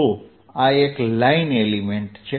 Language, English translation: Gujarati, so this is a line element